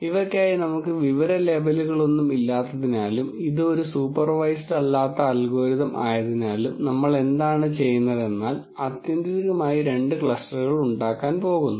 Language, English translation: Malayalam, Because we have no information labels for these and this is an unsupervised algorithm what we do is we know ultimately there are going to be two clusters